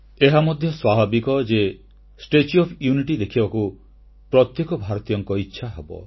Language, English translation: Odia, Of course, the inner wish to visit the statue of unity will come naturally to every Indian